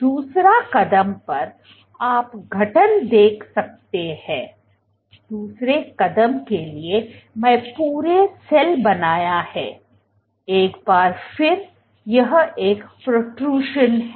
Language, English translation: Hindi, The second step what you see is the formation, let us for the second step I have to draw the entire cell, once again this is a protrusion